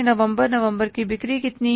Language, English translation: Hindi, November sales are how much